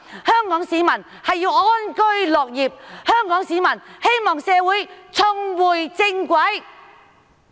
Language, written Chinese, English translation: Cantonese, 香港市民需要安居樂業，香港市民希望社會重回正軌。, The people of Hong Kong need to live in peace and work in contentment and they want to see their society get back on track